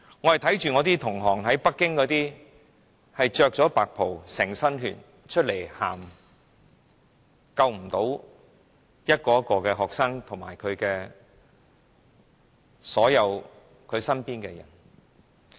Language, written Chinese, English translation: Cantonese, 我看到一些北京的醫生穿着白袍、滿身是血從醫院走出來，哭訴救不到學生及他們身邊的所有人。, I saw some Beijing doctors in white coats covered with blood coming out of hospitals saying in tears that they could not save the students and all those people around them